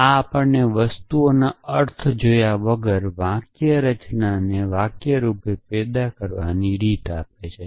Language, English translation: Gujarati, This gives us a way of producing the sentence syntactically without looking at the meanings of things essentially